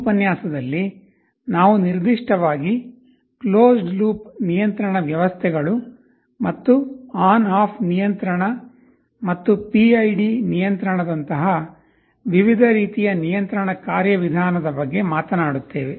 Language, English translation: Kannada, In this lecture, we shall be talking particularly about something called closed loop control systems, and the different kinds of controlling mechanism like ON OFF control and PID control